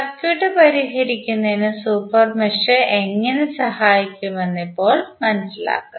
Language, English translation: Malayalam, Now, let us understand how the super mesh will help in solving the circuit